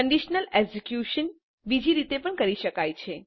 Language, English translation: Gujarati, The conditional execution can also be done in another way